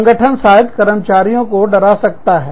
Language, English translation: Hindi, The organization, may threaten the employees